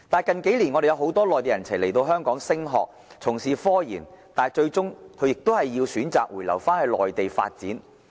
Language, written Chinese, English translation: Cantonese, 近數年，很多內地人才來港升學，從事科研，但他們最終選擇回流內地發展。, In recent years many Mainland talents have come to Hong Kong to pursue studies or engage in RD projects but they eventually return to the Mainland for career development